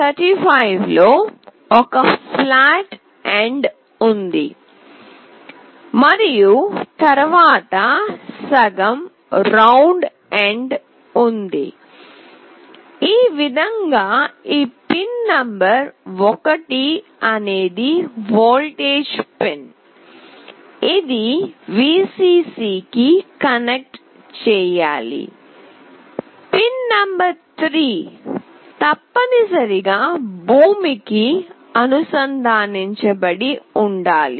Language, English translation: Telugu, In LM35 there is a flat end and then there is a half round end, this way this pin number 1 is the voltage pin, this one should be connected to Vcc, pin number 3 must be connected to ground